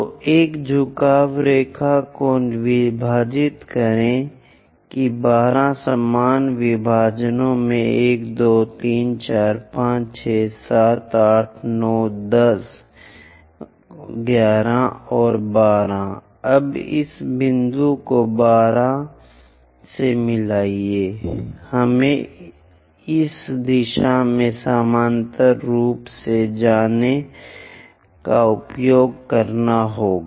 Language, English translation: Hindi, So, these are the points, mark them as 1 2 3 4 2 3 4 5 6 7 8 9 10 11, I think we made this is 12 let us use equal number of divisions